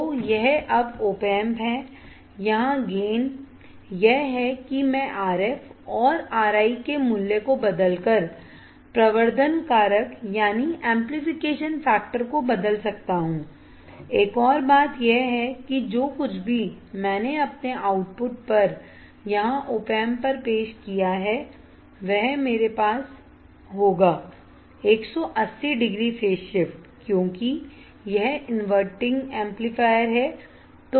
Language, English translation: Hindi, So, this is the op amp now here the advantage is that that I can change the amplification factor by changing the value of RF and R I another point is whatever the I introduced phase my output at the op amp that is here, I will have a 180 degree phase shift because it is a inverting amplifier